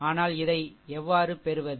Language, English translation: Tamil, So, how will do it